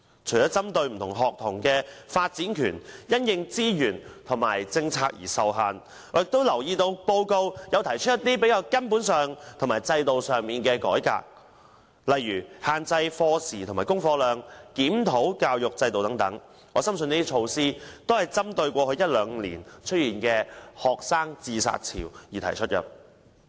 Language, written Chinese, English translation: Cantonese, 除了針對不同學童的發展權因資源和政策而受限制外，我亦留意到報告提出了一些較根本和制度上的改革，例如限制課時和功課量及檢討教育制度等，我深信這些措施是針對過去一兩年出現的學生自殺潮而提出。, Apart from addressing the constraints on childrens right to development due to resources and policies I noticed that the report has also proposed fundamental reforms to the system such as limiting class hours and the amount of homework as well as reviewing the education system . I am convinced that these measures were proposed in the light of the suicide wave among students in the past year or two